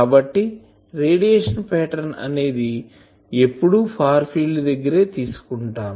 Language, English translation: Telugu, So, always radiation pattern should be taken only at the far field